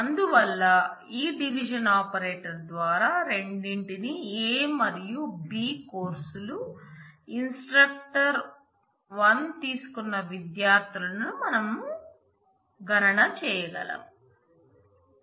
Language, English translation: Telugu, So, this is the diffusion operation which by which we can compute the students who have taken both a and b courses instructor 1 will be found out from this division operation